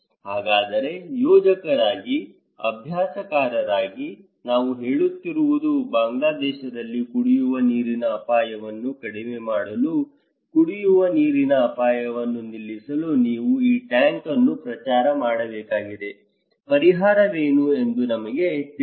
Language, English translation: Kannada, So, as a planner, as a practitioner, we are saying that okay, you need to promote this tank to stop drinking water risk to reduce drinking water risk in Bangladesh, tell us what is the solution